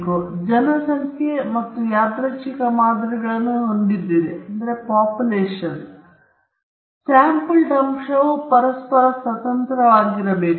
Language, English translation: Kannada, So now, you have a population and random samples, the sampled element must be independent of each other